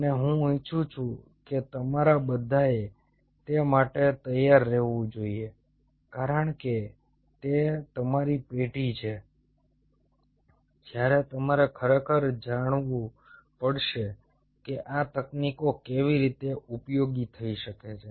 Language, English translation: Gujarati, and i wish all of you ah should be braced up for that, because thats your generation, when you really have to know how these technologies can can come very handy